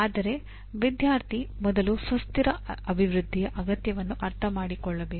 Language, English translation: Kannada, But still student should understand the need for sustainable development first